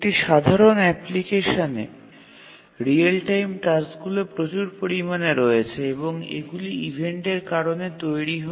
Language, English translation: Bengali, In a typical application there are a large number of real time tasks and these get generated due to event occurrences